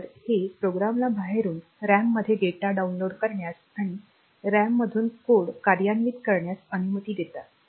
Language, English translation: Marathi, So, this will allow a program to be downloaded from outside into the RAM as data and executed from RAM as code